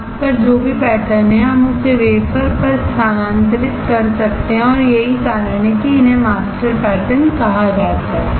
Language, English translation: Hindi, Whatever pattern is there on the mask we can transfer it onto the wafer and which is why these are called master patterns